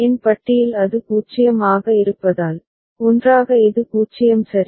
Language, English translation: Tamil, So, Cn bar because it is 0 so, together it is 0 ok